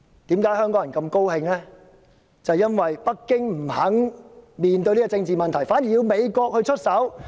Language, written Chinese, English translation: Cantonese, 正是因為北京不願面對這個政治問題，反而要美國出手。, Because Beijing refuses to face this political issue so the United States have to take it on